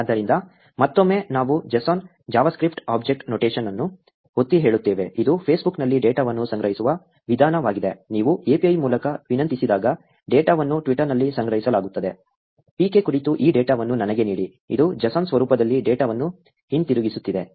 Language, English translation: Kannada, So, again, that we emphasize JSON is the JavaScript Object Notation, which is the way that the data is stored in Facebook, data is stored in twitter when you request through the API, for saying, ‘give me this data about PK’, it is returning the data in JSON format